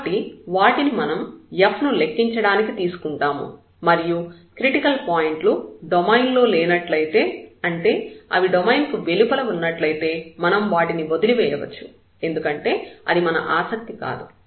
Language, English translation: Telugu, So, we will take them for further evaluation of f at those points, if the critical points does not fall in the domain they are outside the domain then we can leave them because that is not of our interest